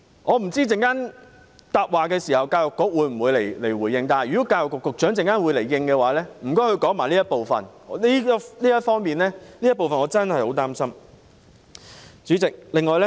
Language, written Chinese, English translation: Cantonese, 我不知道在稍後的答辯環節，教育局局長會否回應，如果局長稍後會作出回應，麻煩他就這部分講解一下，我真的很擔心這方面。, I wonder whether the Secretary for Education will give a reply in the ensuing reply session . If the Secretary will give a reply in a moment I would like to urge him to offer an explanation in this aspect which I am very much concerned about